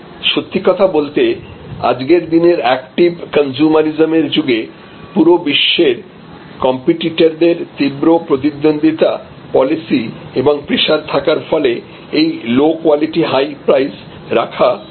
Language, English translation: Bengali, But, really speaking today with the kind of active consumerism and intense competition and continues pressure and policy from competitors coming from all over the world, it is very difficult today to be in this low quality high price